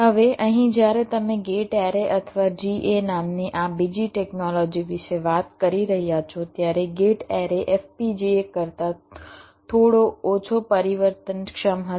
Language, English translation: Gujarati, now now here, when you talking about this second technology called gate arrays or ga, gate array will be little less flexible then fpga, but its speed will be a little higher